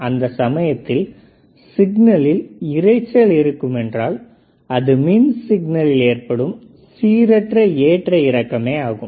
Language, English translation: Tamil, So, noise when you talk about noise it is a random fluctuation in an electrical signal